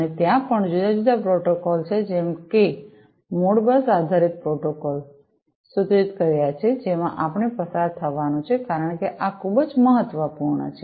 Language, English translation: Gujarati, And, also there are different protocols such as the Modbus based protocols have been proposed to which we are going to go through because this is very important you know